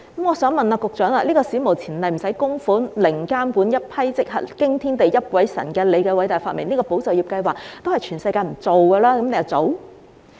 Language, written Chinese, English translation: Cantonese, 我想問局長，"保就業"計劃史無前例、無須供款、零監管、即時批核，驚天地，泣鬼神，是他的偉大發明，全世界也不會做，為何他又做？, May I ask the Secretary why he introduced the non - contributory and instantly - approved Employment Support Scheme with zero monitoring an unprecedented and ground - breaking great invention of his which no other places in the world would introduce?